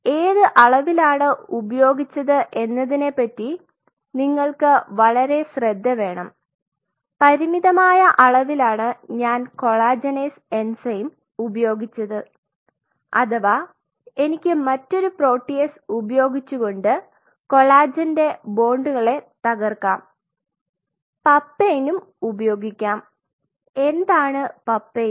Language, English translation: Malayalam, So, I use collagen is enzyme at a limited concentration you have to be very careful what is the concentration you are using or I can use another protease which will break these bonds of collagen, I can use papain, what is papain